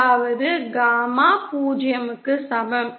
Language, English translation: Tamil, That is gamma in is equal to 0